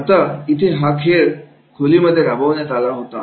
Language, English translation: Marathi, Now, here this game is played into the, in the training room itself